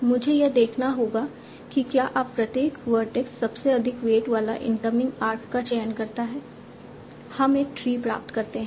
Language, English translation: Hindi, I'll have to see if each vertex now selects the incoming arc with the highest weight, do we obtain a tree